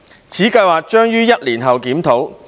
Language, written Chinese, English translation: Cantonese, 此計劃將於1年後檢討。, The scheme would be reviewed in one year after its commencement